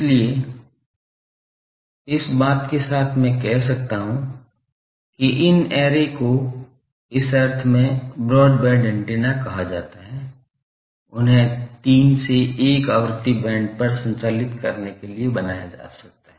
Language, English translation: Hindi, So, with this a thing I can say that these arrays are called, in that sense broadband antenna, they can be made to operate over a 3 to 1 frequency band